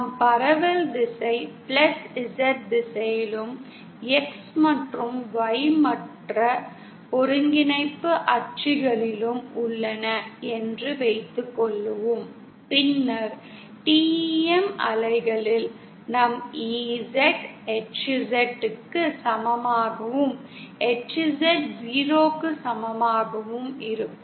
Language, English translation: Tamil, Suppose our direction of propagation is along the +Z direction and X and Y are the other coordinate axis, then in TEM waves, we have EZ equal to HZ equal to 0